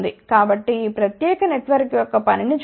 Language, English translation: Telugu, So, let us see the working of this particular network